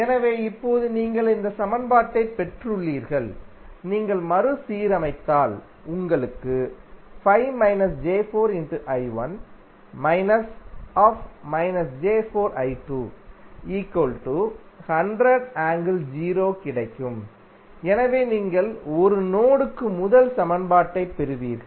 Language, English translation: Tamil, So, now you got this equation, if you rearrange you will get 5 minus 4j into I 1 minus of minus of 4j I 2, so this will become plus and then 100 would be at the other, so you will get first equation for the mesh 1